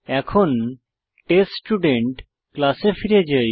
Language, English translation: Bengali, Let us go to the TestStudent class